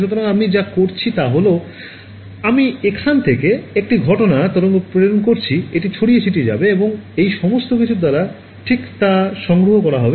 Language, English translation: Bengali, So, what I do is, I send an incident wave from here this will get scattered and collected by everyone all of these guys right